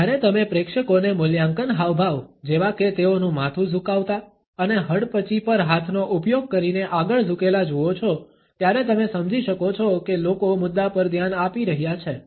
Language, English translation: Gujarati, When you see an audience tilting their heads and leaning forward using hand to chin evaluation gestures, you can understand that people are paying attention to the content